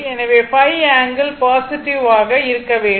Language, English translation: Tamil, So, phi angle should be positive, right